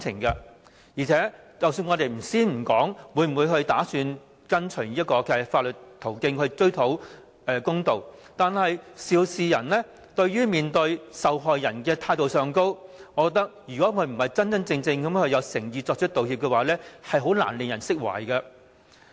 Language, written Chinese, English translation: Cantonese, 而且，暫且不說會否循法律途徑追討公道，肇事人在面對受害人時，若態度上並非真正有誠意作出道歉，我認為也難以令人釋懷。, Furthermore disregarding whether any legal actions are to be taken to pursue justice I do not think any victims can be soothed if the one in the wrong shows no sincerity when making an apology